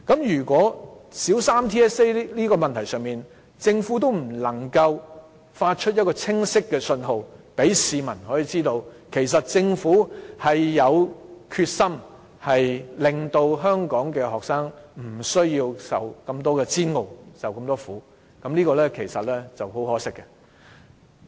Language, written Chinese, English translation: Cantonese, 如果在小三 TSA 的問題上，政府不能夠發出清晰的信號，讓市民知道政府有決心令香港學生不再受煎熬、受苦，其實這是很可惜的。, It is indeed very regrettable if the Government fails to give a clear message to the public on the matter of TSA for primary three students so as to let people know that the Government is determined in ending the suffering of students in Hong Kong